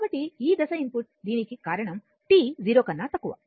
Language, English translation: Telugu, So, this is because of this step input this for t less than 0 right